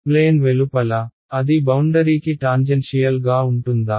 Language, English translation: Telugu, Outside the plane; will it be tangential to the boundary